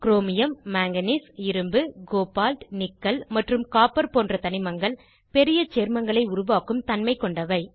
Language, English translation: Tamil, Elements Chromium, Manganese, Iron, Cobalt, Nickel and Copper have a tendency to form a large number of complexes